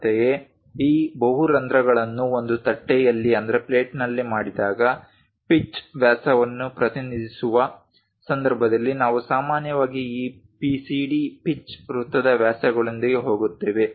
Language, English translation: Kannada, Similarly, whenever these multiple holes are made on a plate, there will be a pitch diameter represented in that case we usually go with this PCD pitch circle diameters